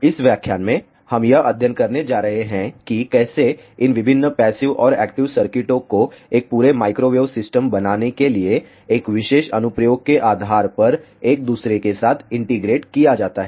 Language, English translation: Hindi, In this lecture we are going to study how these different passive and active circuits are integrated with each other depending on a particular application to form an entire Microwave System, let us begin